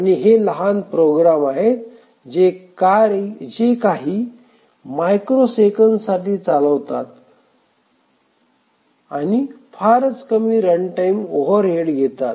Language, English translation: Marathi, And these are very small programs run for a few microseconds, just few lines of code and incur very less runtime overhead